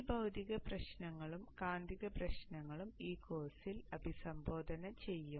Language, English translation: Malayalam, These physical issues and magnetic issues will be addressed in this course